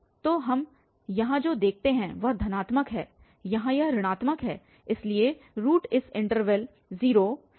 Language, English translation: Hindi, So, what we observe here it is positive, here it is negative so, the root lies between exactly this interval 0 and 0